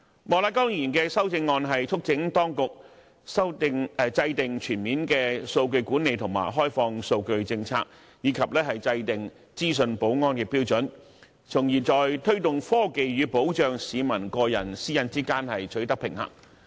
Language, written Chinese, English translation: Cantonese, 莫乃光議員的修正案促請當局制訂全面的數據管理和開放數據政策，以及制訂資訊保安的標準，從而在推動科技與保障市民個人私隱之間取得平衡。, Mr Charles Peter MOK urges the authorities in his amendment to formulate a comprehensive policy on data management and open data as well as devise information security standards so as to strike a balance between promotion of technology and protection of peoples personal privacy